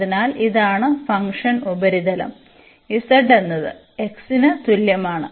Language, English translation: Malayalam, So, this is the function this is a surface z is equal to x